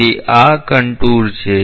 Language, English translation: Gujarati, So, this is the contour